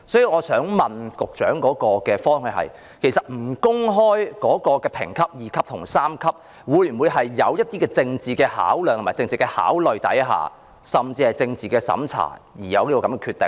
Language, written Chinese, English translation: Cantonese, 我想問局長，審裁處不公開其評級屬第 II 類或第 III 類，是否在政治考慮下甚至是政治審查下而有此決定？, May I ask the Secretary whether OATs decision not to disclose the reasons for classifying the novel as Class II or Class III is based on political considerations or even political censorship?